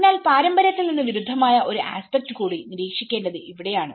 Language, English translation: Malayalam, So this is where a contradicting aspects one has to observe from the tradition